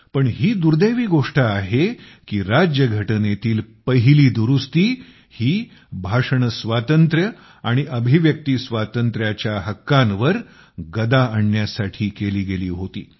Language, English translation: Marathi, But this too has been a misfortune that the Constitution's first Amendment pertained to curtailing the Freedom of Speech and Freedom of Expression